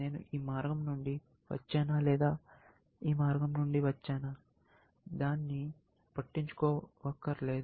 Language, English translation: Telugu, Whether, I came from this path or whether, I came from this path; it does not matter